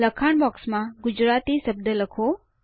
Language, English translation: Gujarati, In the textbox, type the word Gujarati